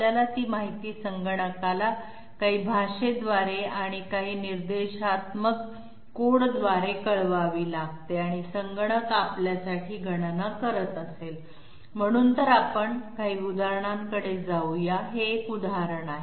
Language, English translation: Marathi, We have to intimate that information to the computer through you know some language and some instructional codes and the computer will be doing the calculations for us, so let us go into some examples, this is one example